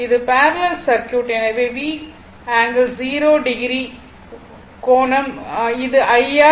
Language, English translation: Tamil, So, parallel circuit so, V angle 0 upon R so, VR angle 0 right right, this is the IR